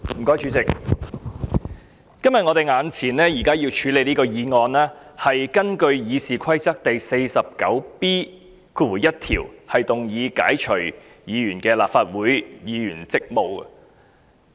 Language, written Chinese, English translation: Cantonese, 我們今天眼前要處理的議案，是根據《議事規則》第 49B1 條動議解除議員的立法會議員職務。, The motion we need to deal with today is to relieve a Member of her duties as a Legislative Council Member under Rule 49B1 of the Rules of Procedure